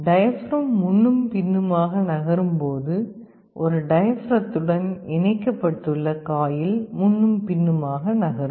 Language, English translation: Tamil, The diaphragm moves back and forth, the coil that is attached to a diaphragm will also move back and forth